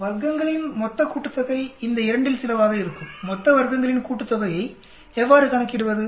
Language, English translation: Tamil, Total sum of squares will be some of these 2, how do you calculate total sum of squares